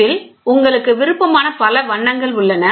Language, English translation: Tamil, In this, you have several colors of your choice, ok